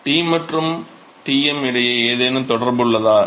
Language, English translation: Tamil, Is there any relationship between T and Tm